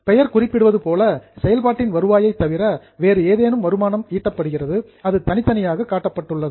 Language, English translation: Tamil, As the name suggests, it is other than revenue if any income is generated, it is shown separately